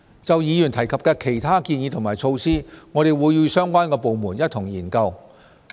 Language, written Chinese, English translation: Cantonese, 就議員提及的其他建議和措施，我們會與相關的部門一同研究。, In respect of other proposals and measures mentioned by Members we will study them with the relevant departments